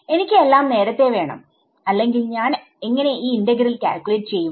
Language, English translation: Malayalam, I need everything before otherwise how will I calculate this integral right